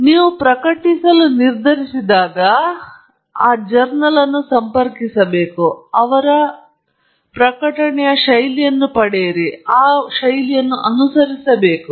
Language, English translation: Kannada, So, you should, when you decide to publish you have to contact the journal, get their style and then follow that style